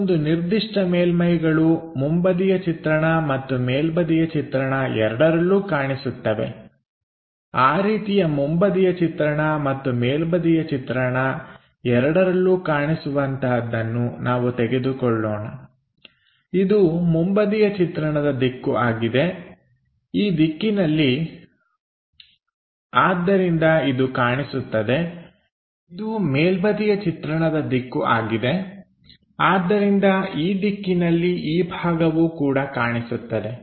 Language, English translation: Kannada, There are certain surfaces which are visible both on front view and top view, let us pick that something like this one visible from front view on top view, front view is this direction so this is visible, top view is this direction this part also visible